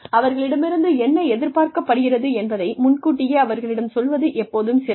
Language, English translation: Tamil, It is always nice to tell them ahead of time, what is expected of them